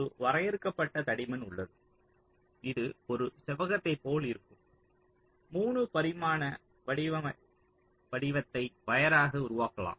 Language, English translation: Tamil, there is a finite thickness, so it will be like a rectangular, you can say three dimensional shape, which is ah, created as the wire so